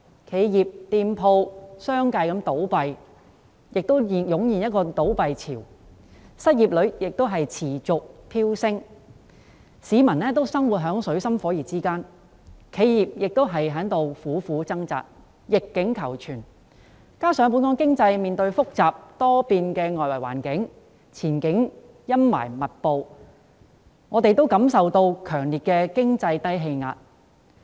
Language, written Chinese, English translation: Cantonese, 企業及店鋪相繼倒閉，湧現倒閉潮；失業率持續飆升，市民生活在水深火熱之中；企業在苦苦掙扎，逆境求存；加上本港經濟面對複雜多變的外來環境，前景陰霾密布，我們也感受到強烈的經濟低氣壓。, Businesses and shops have closed down one after another giving rise to a wave of closures; unemployment rate continues to soar and people are in dire straits; businesses are struggling to survive; coupled with the fact that the local economic outlook is clouded by the complex and volatile external environment we can all feel that Hong Kong has plunged into an economic trough